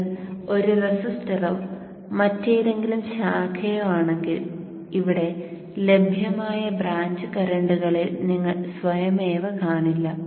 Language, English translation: Malayalam, If it is a resistor or any other branch you will not see automatically the branch currents available here